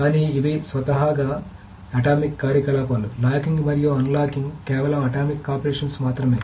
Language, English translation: Telugu, But so these are by itself atomic operations, the locking and unlocking, just the operations by themselves are atomic